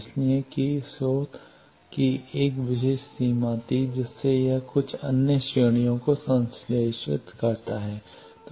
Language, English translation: Hindi, So, that the source was having a particular range from that it synthesizes some other ranges